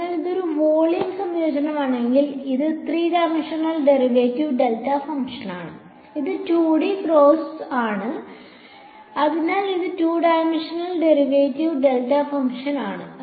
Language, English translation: Malayalam, So, if it is a volume integration, it is a three dimension derived delta function, it is 2D case, so, it is two dimension derived delta function